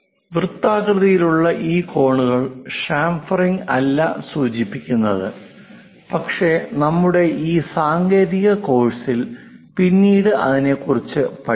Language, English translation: Malayalam, We see sometimes rounded corners also that is not chamfering, but we will learn about that during our technical course